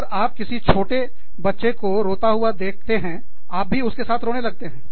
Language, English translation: Hindi, If you see a little child crying, you will cry with them